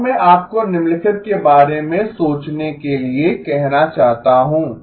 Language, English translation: Hindi, Now I want to ask you to think about the following